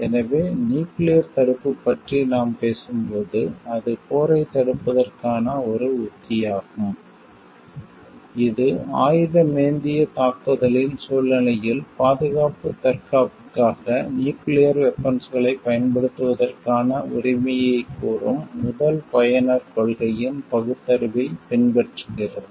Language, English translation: Tamil, So, when we talk of nuclear deterrence it is a strategy to prevent work it follows the rationale of the first user principle which states that the right of the country to use nuclear weapons for a self defense in situation of an armed attack for protecting its security